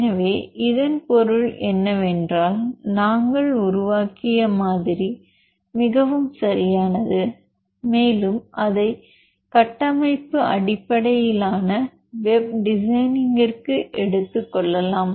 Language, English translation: Tamil, So, it means the model what we built is very perfect and we can take it for further structure based web designing